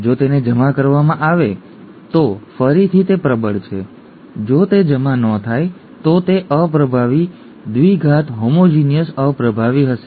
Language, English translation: Gujarati, If it is deposited then again it is dominant, if it is not deposited it would be recessive, double recessive, homozygous recessive